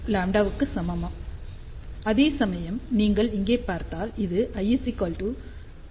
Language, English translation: Tamil, 48 lambda; whereas, if you see over here this is l is equal to 0